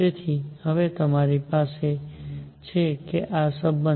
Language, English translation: Gujarati, So now you have therefore, that this relationship